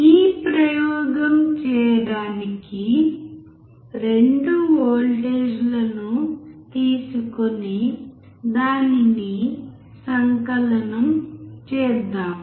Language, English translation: Telugu, For performing this experiment let us take 2 voltages and sum it up